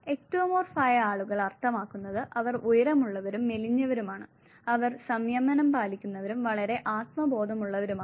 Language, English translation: Malayalam, People who are Ectomorph mean they are tall and thin; they are being ones who would e restrained and very self conscious